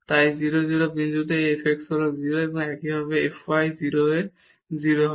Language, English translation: Bengali, So, this f x at 0 0 point is 0 and similarly f y is also 0 at 0 0